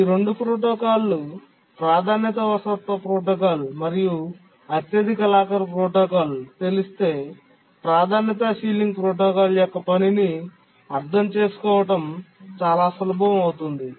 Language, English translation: Telugu, And if we know the two protocols, the priority inheritance protocol and the highest locker protocol, then it will become very easy to understand the working of the priority sealing protocol